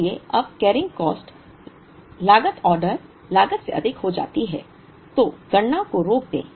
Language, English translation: Hindi, So, when the carrying cost exceeds the order cost, stop the computation